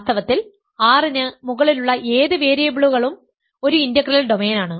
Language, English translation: Malayalam, In fact, any number of variables over R is an integral domain